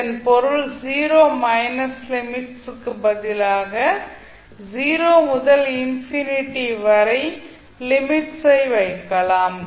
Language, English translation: Tamil, It means that instead of having limits 0 minus you can put limit from 0 to infinity